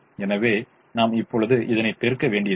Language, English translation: Tamil, so we don't have to do the multiplication